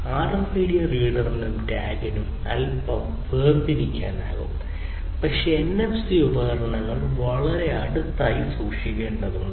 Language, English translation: Malayalam, RFID devices you know the reader and the tag you can keep little bit separated, but here NFC basically devices will have to be kept in very close proximity, right